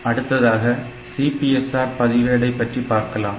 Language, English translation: Tamil, So, this is the CPSR register structure